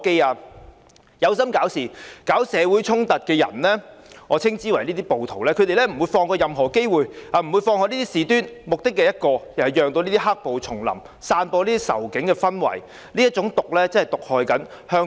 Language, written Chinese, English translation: Cantonese, 那些有心搞事、搞社會衝突的人——我稱之為"暴徒"——他們不會放過任何機會和事端，目的只有一個，便是讓"黑暴"重臨，散播仇警的氛圍，這種毒真的在毒害香港。, Those who intend to create turmoil and social conflicts―whom I called rioters―will leave no stone unturned to achieve their sole purpose of bringing back black violence and incite hatred against the Police which is indeed a kind of poison that is detrimental to Hong Kong